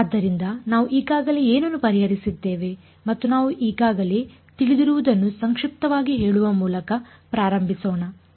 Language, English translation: Kannada, So, let us sort of start by summarizing what we already know ok, what are we already solved